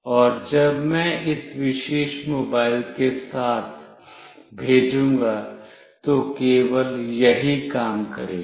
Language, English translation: Hindi, And when I send with this particular mobile, it will only work